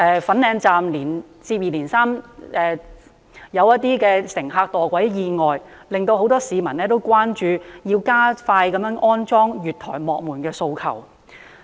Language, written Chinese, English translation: Cantonese, 粉嶺站接二連三發生乘客墮軌意外，令很多市民關注，提出加快安裝月台幕門的訴求。, A series of accidents involving people falling off railway platforms in Fanling Station have aroused much public concern . People ask for expediting the installation of platform gates